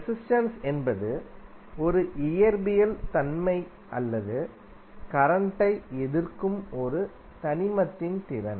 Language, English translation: Tamil, So resistance is a physical property or ability of an element to resist the current